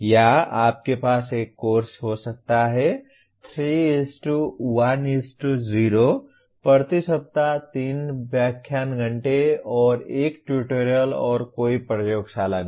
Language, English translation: Hindi, Or you may have a course 3:1:0, 3 lecture hours per week, and 1 tutorial, and no laboratory